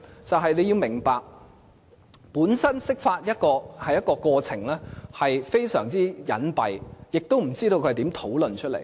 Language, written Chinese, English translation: Cantonese, 因為你要明白，釋法的過程本身是非常隱蔽，亦不知道是如何討論。, You should understand that the process of interpretation is very covert and few people know how the discussion is carried out